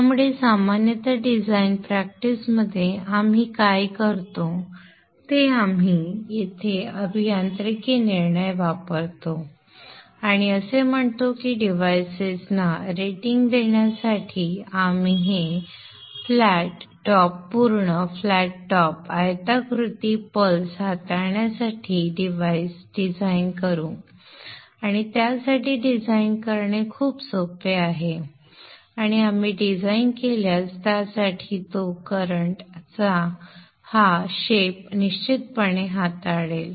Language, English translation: Marathi, So therefore normally in design practice what we do we use the engineering judgment here and say that for rating the devices we will design the devices to handle this flat top complete flat top rectangular pulse much easier to design for that and if we design for that it will definitely handle this shape of current so that is what we would be trying to do for this is the current wave shape that we will assume for design, only for design purposes, not for any analysis